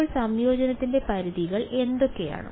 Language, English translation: Malayalam, So, what are the limits of integration